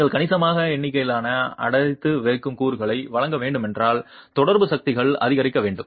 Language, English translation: Tamil, If you were to provide significant number of confining elements, the interaction forces should increase